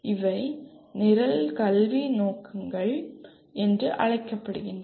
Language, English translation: Tamil, These are called Program Educational Objectives